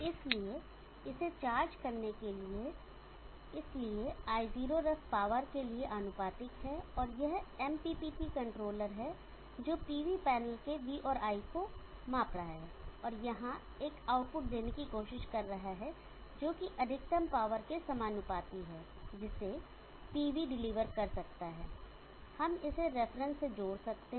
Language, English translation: Hindi, So to charge it up, so I0 ref being proportional to power, and there is this MPPT controller which is measuring V and I or the PV panel and trying to give a output here which is proportional to maximum power, that the PV can deliver, we can connect this to this reference